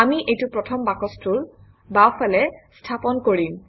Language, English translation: Assamese, We will place it to the left of the first box